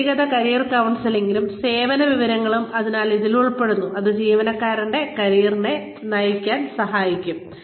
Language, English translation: Malayalam, So, this includes, individual career counselling and information services, that can help, direct the career of the employee